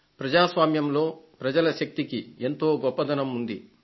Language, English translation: Telugu, In a democracy the power of the people is of great significance